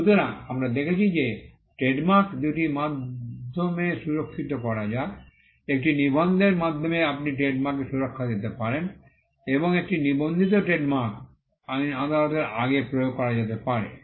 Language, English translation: Bengali, So, we have seen that, trademarks can be protected by two means, by a registration you can protect trademarks and a registered trademark can be enforced before a court of law